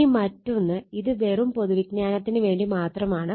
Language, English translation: Malayalam, Now, then another thing this will not cover just for general knowledge